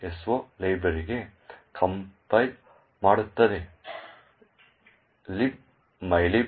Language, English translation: Kannada, so compiles to a library libmylib